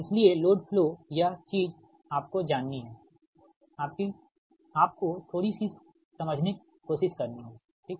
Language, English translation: Hindi, so load flow, this thing you, you have to, you know, you have to try to understand little bit right